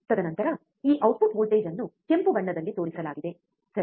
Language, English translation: Kannada, And then this output voltage is shown in red colour, right